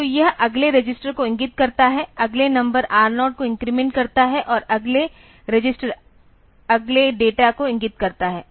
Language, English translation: Hindi, So, that it points to the next register next number increment R0 between point to the next register next data